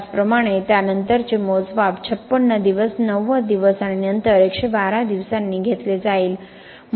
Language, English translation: Marathi, Similarly, the subsequent measurements will be taken at 56 days, 90 days, and then 112 days